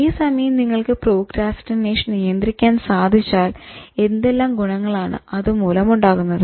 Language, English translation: Malayalam, But if you can handle procrastination, what are the benefits